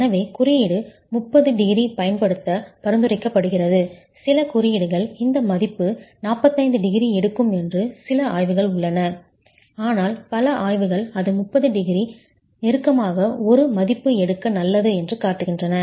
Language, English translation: Tamil, There are some codes, some studies that would peg this value at 45 degrees, but then several studies have shown that it's better to take a value closer to 30 degrees